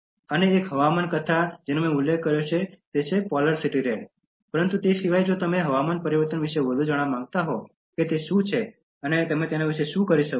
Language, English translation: Gujarati, And one climate fiction that I mentioned that is Polar City Red, but apart from that if you want to know more about climate change what is it and what you can do about it